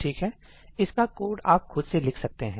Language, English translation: Hindi, Well, you can write this code on your own